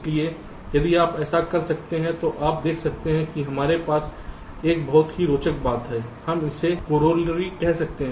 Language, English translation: Hindi, so if you can do this, then you see we have a very interesting you can say corollary to this